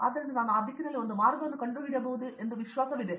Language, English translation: Kannada, So, today I feel confident I can figure out a way in that direction